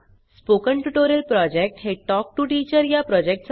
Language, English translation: Marathi, The Spoken Tutorial Project is a part of the Talk to a Teacher project